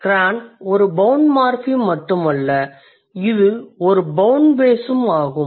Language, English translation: Tamil, So, cran is not only a bound morphem, it is also a bound base